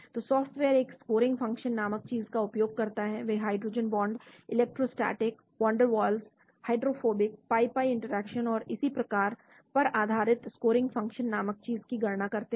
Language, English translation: Hindi, So software makes use of something called a scoring function, they calculate something called the scoring function based on the hydrogen bond, electrostatics, van der Waals, hydrophobic, pi pi interaction and so on